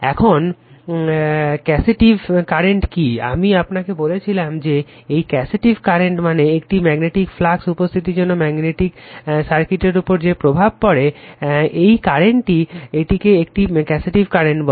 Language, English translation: Bengali, Now, which is the causative current I told you, this causative current means cause of the existence of a magnetic flux in a magnetic circuit right that is why we call it is a causative current, so establishing this flux